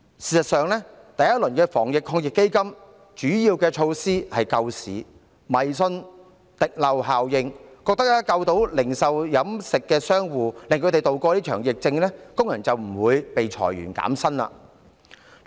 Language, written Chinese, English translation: Cantonese, 事實上，第一輪防疫抗疫基金的主要措施是為了救市，政府迷信滴漏效應，覺得只要能挽救零售業和飲食商戶，讓他們渡過這場疫情，工人便不會遭裁員或減薪。, In fact the major measures in the first round of the AEF sought to rescue the market . Blindly believing in the trickle - down effect the Government thought that as long as it could save the operators in the retail and catering industries thereby enabling them to tide over this epidemic workers would be spared from layoffs or wage reduction